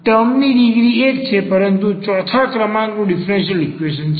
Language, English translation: Gujarati, So, this is the first degree, but the 4th order differential equation